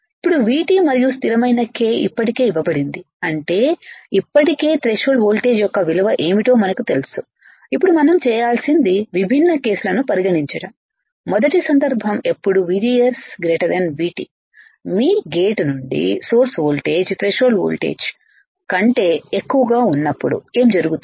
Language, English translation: Telugu, Now, V T and constant k is already given; that means, that we already know what is value of threshold voltage is already there, now what we had to do is consider different cases right first case is that VGS is greater than V T